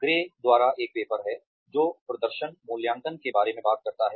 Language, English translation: Hindi, There is a paper by Gray, that talks about performance appraisals